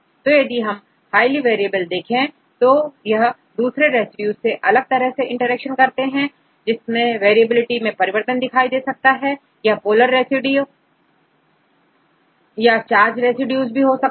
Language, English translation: Hindi, So, you can see they are highly variable, they try to interact to other residues right may be different types of interactions in this case they have the variability to change the residues among the polar residues or charge residues and so on